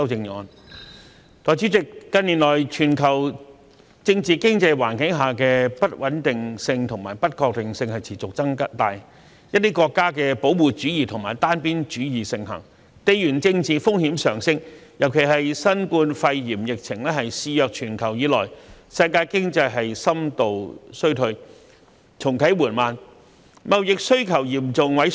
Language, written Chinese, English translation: Cantonese, 代理主席，近年全球政治經濟環境的不穩定性和不確性持續增大，一些國家的保護主義和單邊主義盛行，地緣政治風險上升，尤其是自新冠肺炎疫情肆虐全球以來，世界經濟深度衰退而重啟緩慢，貿易需求嚴重萎縮。, Deputy President the instability and uncertainty in global political - economic environment keep growing in recent years . Geopolitical risk escalates with the prevalence of some countries protectionism and unilateralism . In particulars since the global rage of the COVID - 19 epidemic trade demand shrinks seriously as the world economy recesses deeply yet is slow in restarting